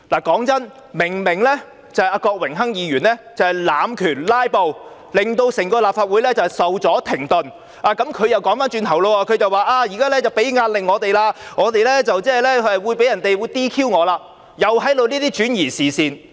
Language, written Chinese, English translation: Cantonese, 坦白說，郭榮鏗議員明明在濫權、"拉布"，令整個立法會受阻停頓，但他卻反過來說我們現時給予他們壓力，他將會被 "DQ" 了，又是在轉移視線。, Honestly speaking Mr Dennis KWOK has clearly abused his power and filibustered thus causing the work of the entire Legislative Council to be held up and brought to a standstill but he on the contrary accused us of exerting pressure on him and said that he would be disqualified or DQ